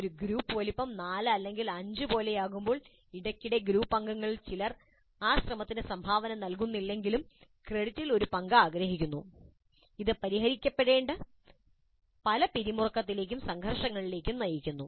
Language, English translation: Malayalam, When a group size is something like four or five, occasionally it is possible that some of the group members really do not contribute to the effort but they want a share in the credit and this essentially leads to certain tensions and conflicts which need to be resolved